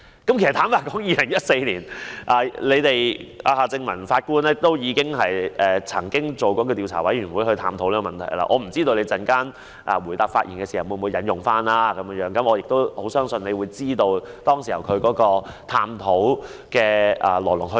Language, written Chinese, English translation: Cantonese, 坦白說 ，2014 年夏正民法官已領導調查委員會探討有關問題，我不知局長稍後回應時會否引用，但我相信局長清楚知道當時進行探討的來龍去脈。, Frankly the investigation panel led by Mr Justice Michael John HARTMANN already examined the relevant problems in 2014 . I do not know if the Secretary will quote from that report later yet I think the Secretary knows full well the course of events leading to the examination back then